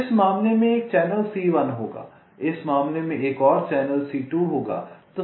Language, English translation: Hindi, so there will be one channel, c one in this case